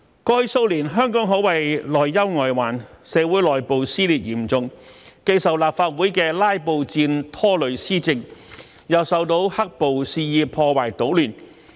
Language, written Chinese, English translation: Cantonese, 過去數年，香港可謂內憂外患：社會內部撕裂嚴重，既受立法會的"拉布戰"拖累施政，又受到"黑暴"肆意破壞搗亂。, Hong Kong has been plagued by troubles from within and outside over the past few years . Internally the community has been plagued by serious dissension . Filibusters in the Legislative Council have derailed policy implementation not to mention the destruction and chaos caused by black - clad rioters